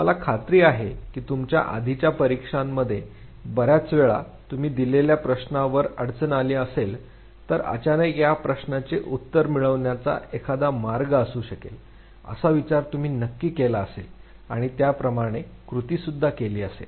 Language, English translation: Marathi, I am sure many a times in your earlier examinations, if you where stuck on a given question you would suddenly thing that this could be one of the ways of resolving this very problem, you work it out